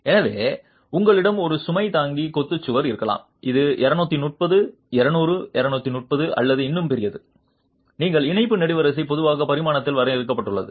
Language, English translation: Tamil, So, you might have a load bearing masonry wall which is 230, 200, 200, 230 or even larger, your tie column is typically limited in dimension